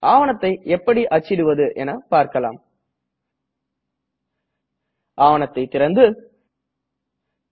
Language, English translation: Tamil, Let me quickly demonstrate how to print a document